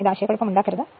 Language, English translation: Malayalam, So, that should not be any confusion right